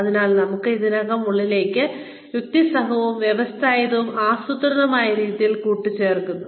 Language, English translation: Malayalam, So, adding on to, what we already have, in a logical, systematic, planned manner